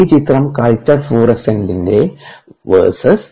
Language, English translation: Malayalam, this is culture florescence versus time